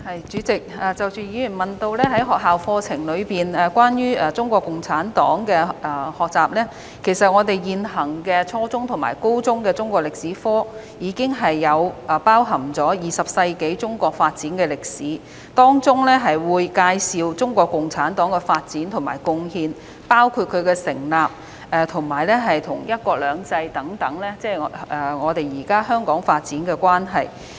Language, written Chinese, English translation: Cantonese, 主席，議員問及學校課程中有關中國共產黨的學習，其實現行初中和高中的中國歷史科課程，已包含20世紀中國發展的歷史，當中會介紹中國共產黨的發展和貢獻，包括該黨的成立及在"一國兩制"下與現今香港發展的關係。, President the Member asked about the learning of CPC in school curriculum . In fact the existing junior and senior secondary Chinese History curriculum has already covered the history of Chinas development in the 20th century . It introduces CPCs development and contribution including its founding history and the relationship with Hong Kongs current development under one country two systems